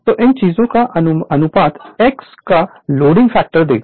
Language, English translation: Hindi, So, ratio of these thing will give you the your x right the loading factor say